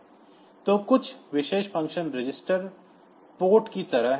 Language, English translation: Hindi, So, some of the special function registers are like every port